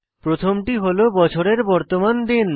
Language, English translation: Bengali, The First is the present day of the year